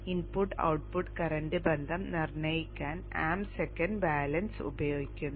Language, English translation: Malayalam, The AM second balance is used to determine the input of current relationship